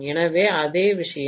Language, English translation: Tamil, So the same thing, yes